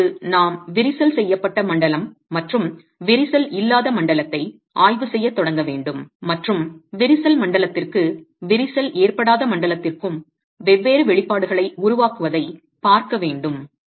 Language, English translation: Tamil, So, now we need to assume, we need to start examining the crack zone and the uncracked zone and look at developing expressions differently for the crack zone and the uncrack zone